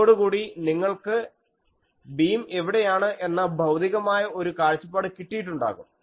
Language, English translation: Malayalam, So, by that, now you get a physical insight that ok, where is the beam etc